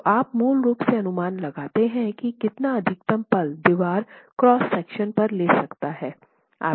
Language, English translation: Hindi, So you basically make an estimate of what the maximum moment that the wall cross section can carry